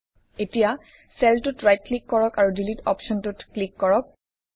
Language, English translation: Assamese, Now right click on the cell and click on the Delete option